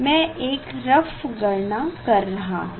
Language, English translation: Hindi, these are just rough calculation